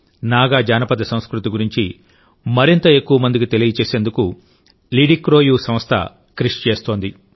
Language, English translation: Telugu, People at LidiCroU try to make more and more people know about Naga folkculture